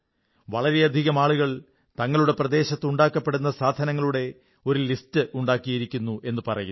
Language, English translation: Malayalam, Many people have mentioned the fact that they have made complete lists of the products being manufactured in their vicinity